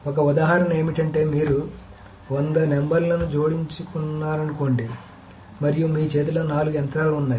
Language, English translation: Telugu, So an example is that suppose you want to add in, add 100 numbers and you have four machines in your hand